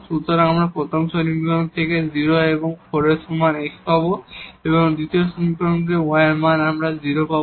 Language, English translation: Bengali, So, we will get x is equal to 0 and 4 from the first equation, from the second equation we will get y is equal to 0